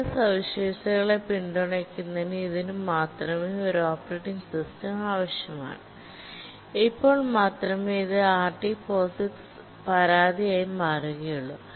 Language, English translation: Malayalam, It requires an operating system to support certain features, then only it will become RT POGICs complaint